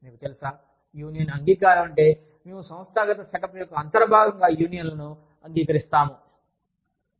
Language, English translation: Telugu, We have the, you know, union acceptance means, we accept unions, as an integral part, of the organizational setup